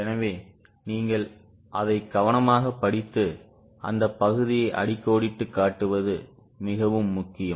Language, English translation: Tamil, So, it is very important that you read it carefully and underline that point which is important